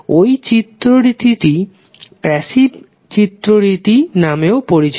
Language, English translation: Bengali, Sign convention is considered as passive sign convention